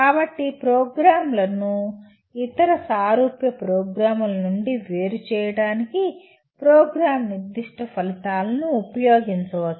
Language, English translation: Telugu, So one can use the Program Specific Outcomes to differentiate a program from other similar programs